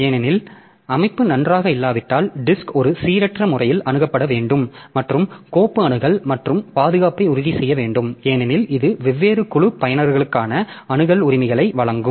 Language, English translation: Tamil, So file organization also plays a major role because the disk has to be accessed in a random fashion if the organization is not good and file access and protection has to be ensured because that will be giving us the access rights for different group of users